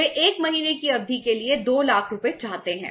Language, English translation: Hindi, They want 2 lakh rupees for a period of 1 month